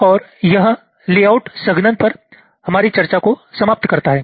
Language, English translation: Hindi, so we continue with our discussion on layout compaction